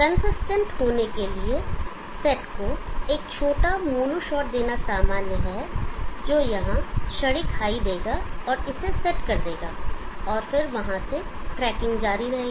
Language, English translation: Hindi, In order to be consistent it is normal to give to the set import has small mono shot which will give a high hear momentarily set this and then from there on the tracking continues